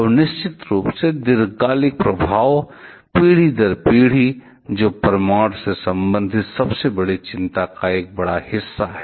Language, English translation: Hindi, And the long term effect of course, lasted over generation, which is the one big of biggest concern related with nuclear